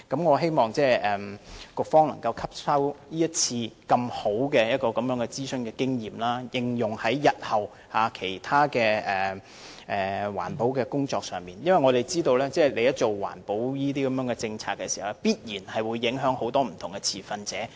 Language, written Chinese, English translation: Cantonese, 我希望局方能夠吸收這次這麼好的諮詢經驗，應用在日後其他環保工作上，因為政府制訂的環保政策必然會影響很多不同的持份者。, I hope that the Policy Bureau will learn from the good experience of conducting this consultation exercise and apply the knowledge in other environmental work because the environmental policies formulated by the Government will necessarily affect many different stakeholders